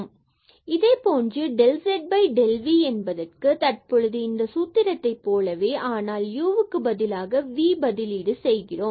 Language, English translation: Tamil, Similarly, for del z over del v now the similar formula, but instead of this u it will be replaced by v